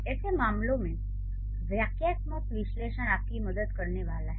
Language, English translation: Hindi, In such cases, the syntactic analysis is going to help you